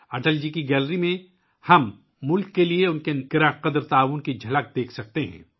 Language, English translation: Urdu, In Atal ji's gallery, we can have a glimpse of his valuable contribution to the country